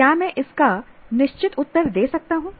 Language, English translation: Hindi, Can I give a definitive answer for that